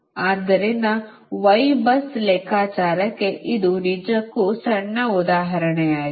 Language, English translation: Kannada, so this is actually small example for your y bus computation right